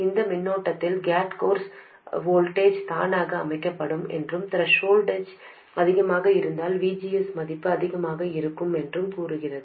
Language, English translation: Tamil, It is basically saying that given this current, the gate source voltage will get set automatically, and that VGS value will be larger if the threshold voltage is larger, it will also be larger if current factor is smaller